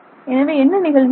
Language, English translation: Tamil, So this happens